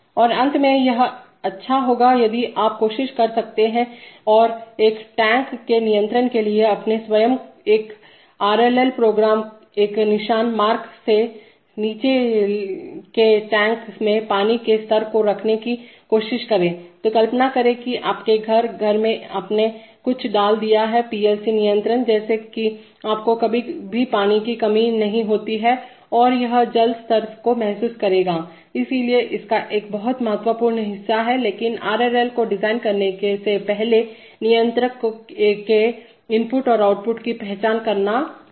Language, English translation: Hindi, And finally it will be good if you can try and, try to draw your own RLL program for the control of a pump to keep the water level in a tank below a mark, so imagine that your house, in the house you have put some PLC control such that you never run out of water and it will sense the water level, so a very important part of, but before designing the RLL is to identify the inputs and the outputs of the controller